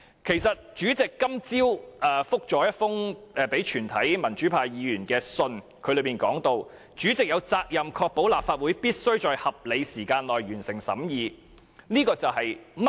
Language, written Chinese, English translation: Cantonese, 其實，主席今天早上發信給全體民主派議員，當中提到"主席有責任確保立法會必須在合理時間內完成審議《條例草案》"。, In fact the President sent a letter to all pro - democracy Members this morning stating that the President has the responsibility to ensure that the Legislative Council must complete the deliberation on the Bill within reasonable time